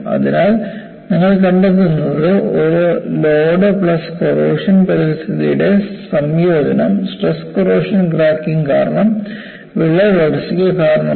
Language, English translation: Malayalam, So, what you find is, combination of a load plus corrosive environment has precipitated crack growth, due to stress corrosion cracking